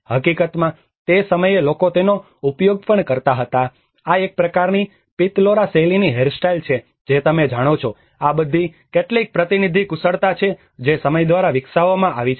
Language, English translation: Gujarati, In fact, some point of the time people also used to make it, this is a kind of Pitalkhora style of hairstyle you know, these are all some representative skills which has been developed through time